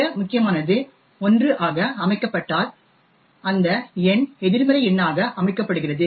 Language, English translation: Tamil, If the most significant is set to 1 then the number is set to be a negative number